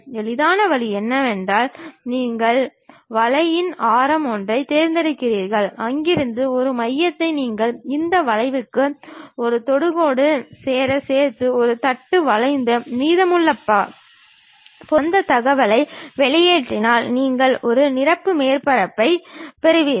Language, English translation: Tamil, The easiest way is, you pick a radius of curvature, a center from there you draw a knock to join as a tangent to these curves and remove the remaining material and extrude that information so that, you get a fillet surface